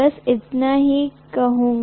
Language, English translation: Hindi, That is all I would say